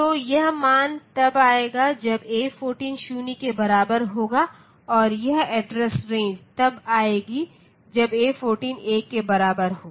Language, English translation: Hindi, So, this value will come when A14 is equal to 0 and this address range will come when A14 is equal to 1